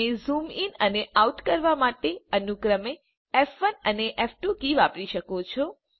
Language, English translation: Gujarati, You can also use F1 and F2 keys to zoom in and zoom out, respectively